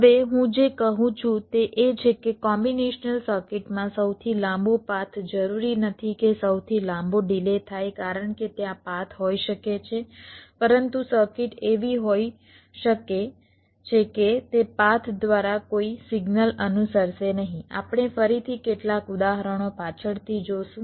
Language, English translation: Gujarati, now what i am saying is that the longest path in the combinational circuit need not necessarily mean the longest delay, because there are may be path, but the circuit may be such that no signal will follow through that path